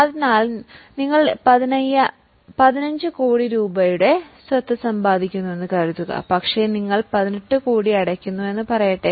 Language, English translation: Malayalam, So, suppose you are acquiring assets worth 15 crore, but you are paying 18 crore, let us say